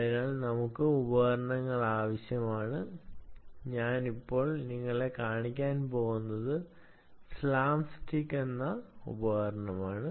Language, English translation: Malayalam, for that we need tools, and what i am going to show you now is a tool called slapstick